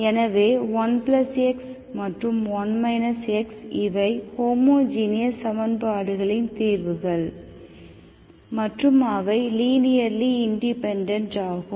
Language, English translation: Tamil, So then 1 plus x and 1 minus x, these are also solutions of the homogeneous equations and they are also linearly independent